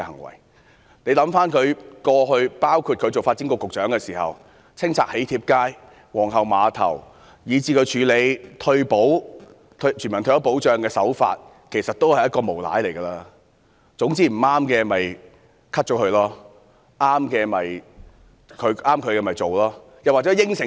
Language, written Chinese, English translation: Cantonese, 大家想想她的過去，包括她擔任發展局局長的時候清拆"囍帖街"和皇后碼頭，以至她處理全民退休保障的手法，其實她是一名無賴，總之不合意的便刪去，合意的便做。, We may think about her track record including the demolition of the Wedding Card Street and Queens Pier when she was the Secretary for Development and how she handled universal retirement protection . In fact she is a scoundrel who simply gets rid of what she dislikes and goes ahead with what she likes